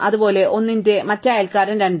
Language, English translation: Malayalam, Similarly, the other neighbour of 1 is 2